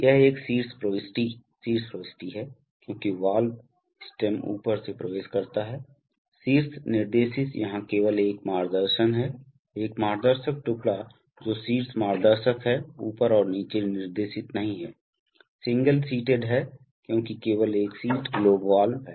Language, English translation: Hindi, So this is a top entry, top entry because the valve stem enters from the top, top guided here there is only one guidance, one guiding piece that is top guiding not top and bottom guided, single seated because there is only one seat globe valve